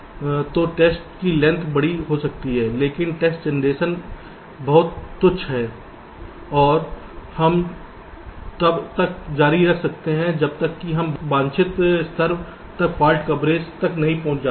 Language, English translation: Hindi, but the test generation is very trivial and we can continue until either we reach a desired level of fault coverage